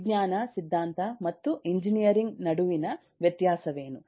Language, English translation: Kannada, if you, what is the difference between science, theory and engineering